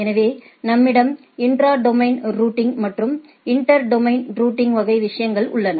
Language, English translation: Tamil, So, in a sense we have intra domain routing and inter domain routing type of things